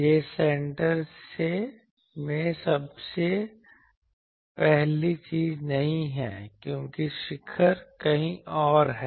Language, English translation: Hindi, It is the maximum is not at the center first thing, because peak is somewhere else